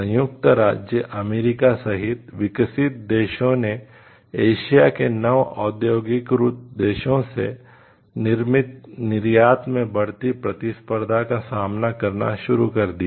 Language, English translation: Hindi, Developed countries including the United States started facing increasing competition in manufactured exports from Newly Industrializing Countries of Asia